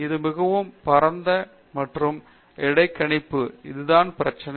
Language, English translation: Tamil, This is so very wide and interdisciplinary, that is the problem